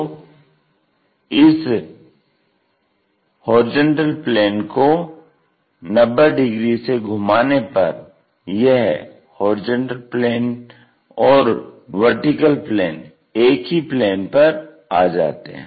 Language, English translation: Hindi, So, by rotating these HP 90 degrees we bring it to the plane on VP